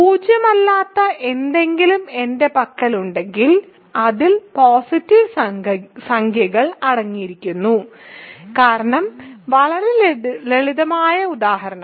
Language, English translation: Malayalam, If I contains something non zero it contains positive integers, that is because very simple example